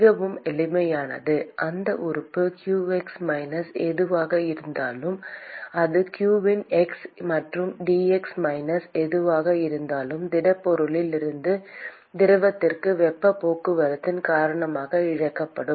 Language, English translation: Tamil, Very simple, whatever comes into that element qx minus whatever it leaves that is q of x plus dx minus whatever is lost because of convection from the heat transport from the solid to the fluid which is flowing past that object